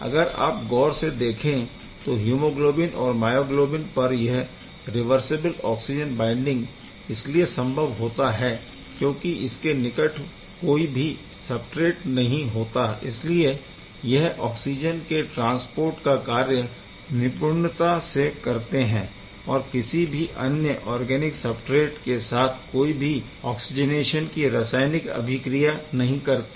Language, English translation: Hindi, If you are looking carefully for the hemoglobin myoglobin this is a reversible oxygen binding there is no substrate sitting close to this hemoglobin and myoglobin therefore, just very efficiently it can transport oxygen without doing any oxygenation chemistry with the any organic substrate